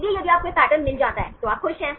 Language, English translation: Hindi, So, if you find this pattern then you are happy